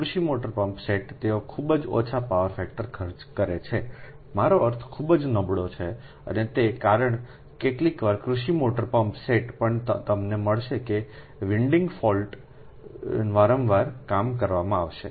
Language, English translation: Gujarati, agricultural motor pumpset, they operate at very low power factor right, i mean very poor, and because of that also sometimes agricultural motor pump sets also, you will find that frequent working of the winding fault will be there right